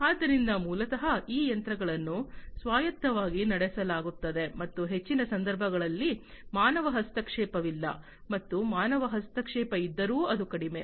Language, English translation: Kannada, So, basically these machines are run autonomously and in most cases basically, you know there is no human intervention; and even if there is human intervention, it is minimal